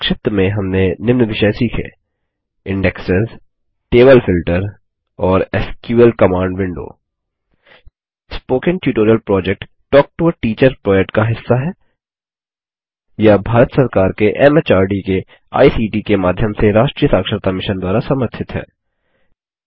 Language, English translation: Hindi, This brings us to the end of this tutorial on LibreOffice Base To summarize, we learned the following topics: Indexes Table Filter And the SQL Command window Spoken Tutorial Project is a part of the Talk to a Teacher project, supported by the National Mission on Education through ICT, MHRD, Government of India